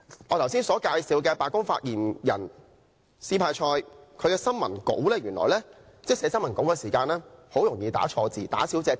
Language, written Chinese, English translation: Cantonese, 我剛才介紹的白宮發言人斯派塞有一項有趣的特點，就是原來他寫新聞稿時很容易打錯字和打漏字。, There is something interesting about Sean SPICER the White House Press Secretary introduced by me a moment ago . He easily makes typing errors including omissions